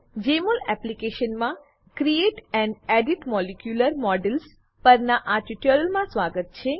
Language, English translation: Gujarati, Welcome to this tutorial on Create and Edit molecular models in Jmol Application